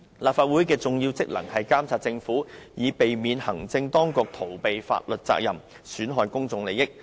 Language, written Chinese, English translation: Cantonese, 立法會的重要職能是監察政府，避免行政當局逃避法律責任，損害公眾利益。, It is an important function of the Legislative Council to monitor the Government and to prevent the evasion of legal liabilities by the Administration that would jeopardize public interest